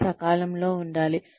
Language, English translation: Telugu, It has to be timely